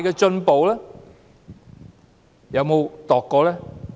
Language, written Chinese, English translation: Cantonese, 政府有否量度過呢？, Has the Government ever assessed it?